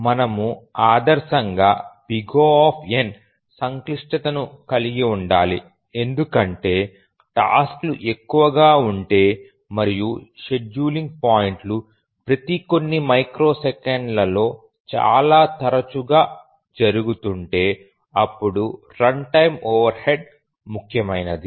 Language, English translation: Telugu, We should ideally have O1 as the complexity because if the tasks are more and the scheduling points occur very frequently every few microseconds or so, then the runtime overhead becomes significant